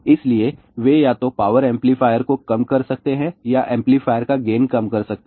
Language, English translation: Hindi, So, they can either reduce the power amplifier or reduce gain of the amplifier